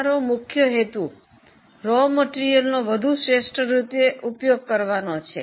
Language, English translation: Gujarati, And our main purpose is to use raw material more effectively